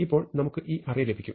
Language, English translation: Malayalam, So, we do this, so we now get this array